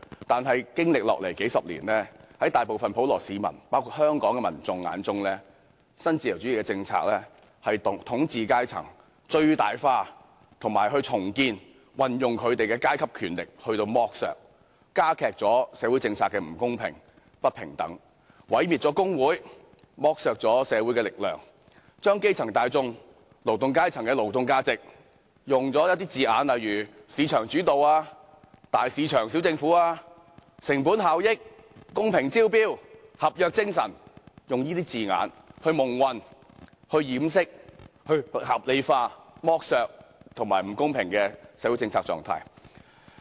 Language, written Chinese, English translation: Cantonese, 但經過數十年，在大部分普羅市民包括香港民眾眼中，新自由主義的政策將統治階層最大化、重建和運用其階級權力進行剝削、加劇了社會政策的不公平和不平等、毀滅了工會、剝削了社會的力量，以及將基層大眾和勞動階層的勞動價值以"市場主導"、"大市場、小政府"、"成本效益"、"公平招標"、"合約精神"等字眼蒙混過去，以掩飾及合理化剝削和不公平的社會政策狀況。, But several decades down the line in the eyes of the majority of the general public including those in Hong Kong neo - liberal policies have maximized the ruling class which has restored and used its power to engage in exploitation added to the injustice and inequality of social policies destroyed unions exploited social force and obscured the labour value of the grass roots and the working class with such wording as market - led big market small government cost - effectiveness fairness of the tendering process and spirit of contract so as to cover up and rationalize exploitation and the unfair status of social policies